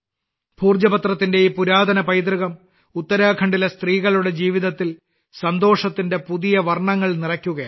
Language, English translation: Malayalam, This ancient heritage of Bhojpatra is filling new hues of happiness in the lives of the women of Uttarakhand